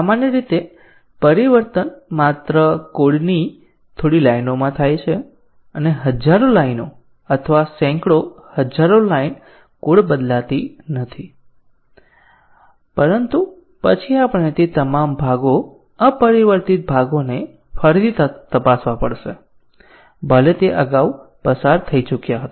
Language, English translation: Gujarati, Typically the change occurs to only few lines of code and few tens of thousands of line or hundreds of thousands of line of code does not change, but then we have to retest all those parts unchanged parts even though earlier they had passed